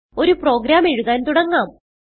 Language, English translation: Malayalam, Let us start to write a program